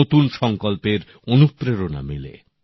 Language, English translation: Bengali, There is inspiration for resolve